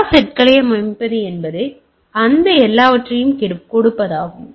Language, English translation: Tamil, Setting all set is means giving all those things